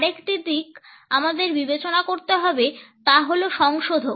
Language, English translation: Bengali, Another aspect we have to consider is modifiers